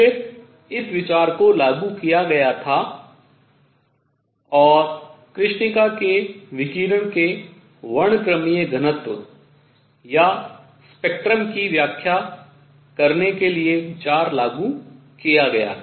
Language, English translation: Hindi, Then this idea was applied idea was applied to explain the spectral density or spectrum of black body radiation